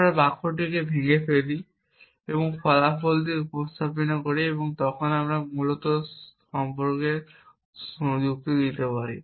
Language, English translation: Bengali, We break down the sentence and represented with consequent which we can then reason about essentially